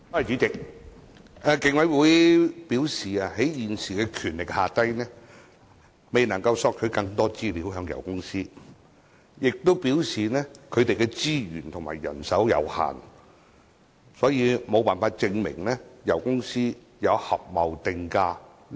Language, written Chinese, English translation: Cantonese, 主席，競委會表示基於其現有權力，未能向油公司索取更多資料，並且表示該會的資源和人手有限，所以無法證明油公司有合謀定價的行為。, President the Commission indicated that it had failed to obtain more information from oil companies due to its existing powers . It also indicated that it could not prove that oil companies had engaged in collusive price - fixing due to its limited resources and manpower